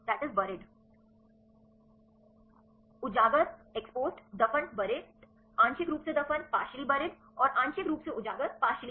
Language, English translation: Hindi, Exposed, burried, partially buried and partially exposed right